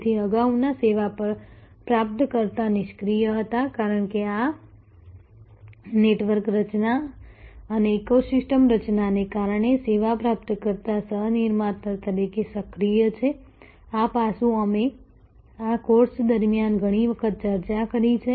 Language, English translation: Gujarati, So, earlier service recipient were passive, because of this network formation and ecosystem formation service recipient is active as a co producer, this aspect we have discussed number of times during this course